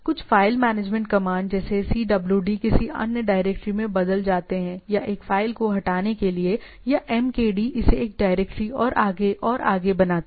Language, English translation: Hindi, Some of the file management command like CWD change to another directory or delete to delete a file or MKD making it directory and so and so forth